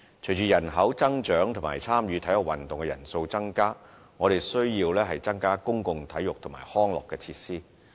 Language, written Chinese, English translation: Cantonese, 隨着人口增長和參與體育運動的人數增加，我們需要增加公共體育及康樂設施。, Following the population growth and the increasing number of people participating in sports activities we need to increase public sports and recreation facilities